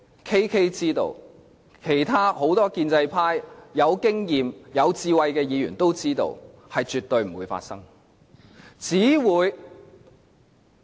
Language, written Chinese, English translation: Cantonese, KK 知道，其他很多有經驗、有智慧的建制派議員都知道，這是絕對不會發生的。, KK knows and many other experienced and wise Members from the pro - establishment camp know that this absolutely is not going to happen